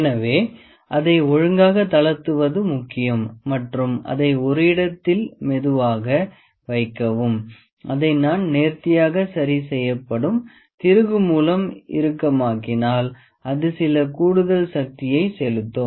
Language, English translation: Tamil, So, it is important to loosen it properly, place it gently and tighten this and if now I keep on tightening this fine adjustment screw it will exert some extra force